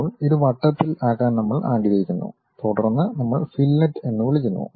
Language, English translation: Malayalam, Now, we want to round it off then we call fillet